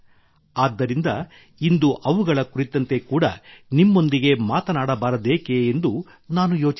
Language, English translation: Kannada, That's why I thought why not talk to you about him as well today